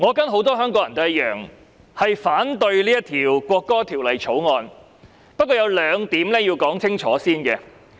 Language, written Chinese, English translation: Cantonese, 我跟很多香港人一樣，反對《國歌條例草案》，但我有兩點必須先清楚說明。, Like many Hong Kong people I oppose the National Anthem Bill the Bill but there are two points that I must state clearly right at start